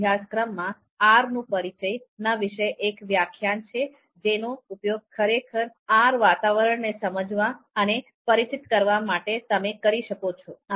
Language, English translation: Gujarati, There is a particular lecture on introduction to R and that can actually be used to understand and to familiarize yourself with the R environment itself